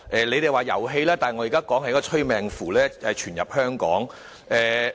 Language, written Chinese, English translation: Cantonese, 你們說是遊戲，但我現在說的是，一個催命符傳入香港。, You referred it as a game but to me it is a death curse finding its way into Hong Kong